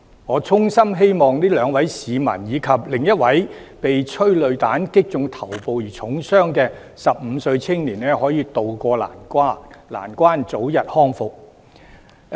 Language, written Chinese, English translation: Cantonese, 我衷心希望這兩位市民，以及另一位被催淚彈擊中頭部而重傷的15歲青年，可以渡過難關，早日康復。, I sincerely hope that these two members of the public and another young man aged 15 who was hit in the head by a petrol bomb and seriously hurt can pull through their critical conditions and recover soon